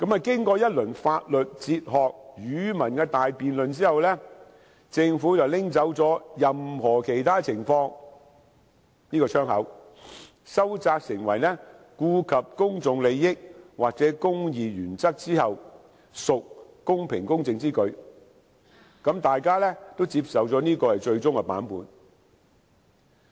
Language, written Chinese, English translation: Cantonese, 經過一輪法律、哲學、語文的大辯論後，政府便刪去"一切有關情況下"這個窗口，收窄成為："顧及公眾利益或公義原則之後，屬公平公正之舉"，大家便接受這是最終版本。, After a round of heated debate on the legal philosophical and linguistic aspects of the clause the wording all the relevant circumstances were removed . The exercise of the discretion was then restricted to circumstances where it is just and equitable to do so having regard to the public interest or the interests of the administration of justice . It is the final version accepted by the Bills Committee